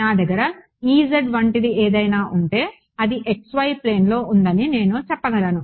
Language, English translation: Telugu, So, if I had something like you know E z, I can say this is in the x y plane